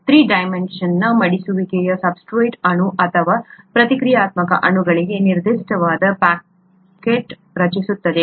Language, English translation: Kannada, The three dimensional folding creates pockets that are very specific to the substrate molecule or the reacting molecule, reactant